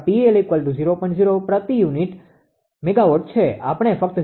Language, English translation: Gujarati, 01 per unit megawatt it ah we are not telling just 0